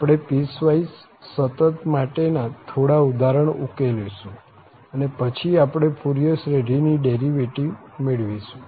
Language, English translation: Gujarati, We will just discuss some examples on piecewise continuity and then we will come to the point of the derivation of the Fourier series